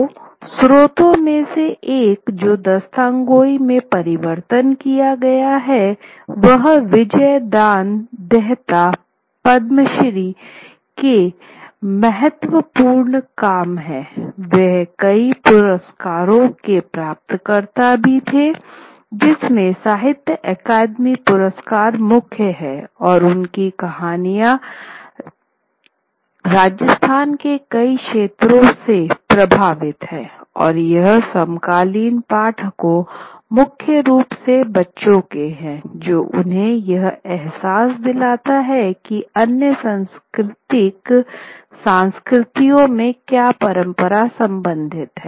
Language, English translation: Hindi, So, one of the sources that they have sort of converted into a Dasthan Gaui is a very important work done by, engaged in byayyana Dhan Dada, Padamshi and he was also a recipient of many awards including the Saithythian Academy Award and he has his Vijada lifelong activity, lifelong achievement has been collection of many stories from across Rajasthan and making them available for the contemporary reader, the children, which gives them a sense of what are the other cultures that cultural traditions that they belong to